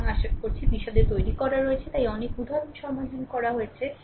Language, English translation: Bengali, So, hope detail have been made, so many examples have been solved